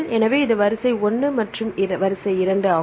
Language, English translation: Tamil, So, this is sequence 1 this is sequence 2